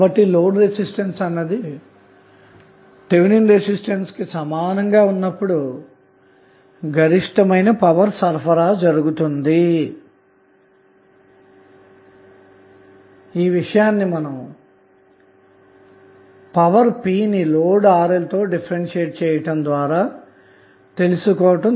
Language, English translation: Telugu, The maximum power transfer takes place when the load resistance is equal to Thevenin resistance this we derived when we took the derivative of power p with respect to Rl which is variable